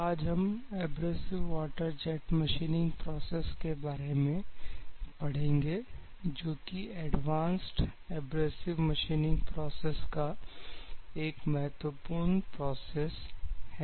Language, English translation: Hindi, Today we are going to study about, the Abrasive Water Jet Machining Process, which is one of the important processes in Advanced Abrasive Machining Processes